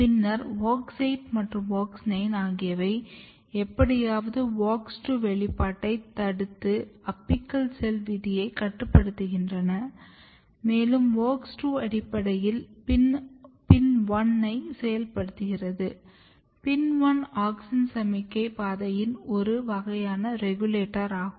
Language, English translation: Tamil, And then WOX 8 and WOX 9 somehow restrict WOX2 expression to the apical fate, and in WOX2 basically active PIN one basically which is a kind of regulator of auxin signaling pathway